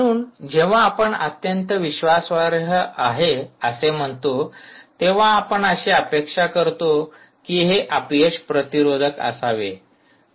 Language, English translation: Marathi, so when you say highly reliable, you actually mean it should be failure resistant